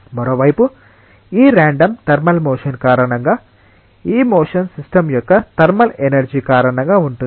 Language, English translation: Telugu, On the other hand, it is very likely that because of this random thermal motion, this motion is because of a thermal energy of the system